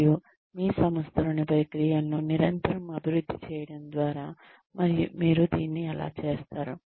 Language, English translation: Telugu, And, how do you do that, by constantly developing the processes within your organization